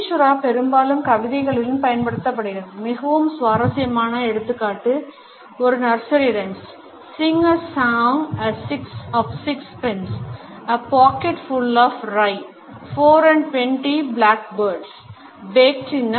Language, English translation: Tamil, Caesura is often used in poetry, a very interesting example is from a nursery rhyme “Sing a song of six pence/ A pocket full of rye/Four and twenty blackbirds/Baked in a pie